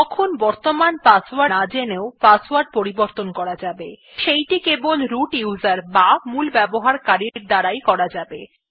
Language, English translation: Bengali, Then also the password can be changed without knowing the current password, but that can only be done by the root user